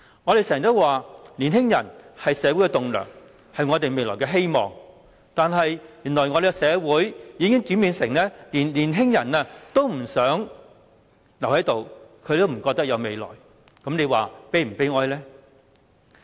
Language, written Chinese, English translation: Cantonese, 我們經常說年輕人是社會的棟樑，是我們未來的希望，但原來社會已經轉變為連年輕人都不想留在這裏，覺得沒有未來，這是否悲哀呢？, We often say that young people are the pillars of society and the hope of our future but society has changed to such an extent that even young people do not want to stay here for not having a promising prospect . Isnt this sad?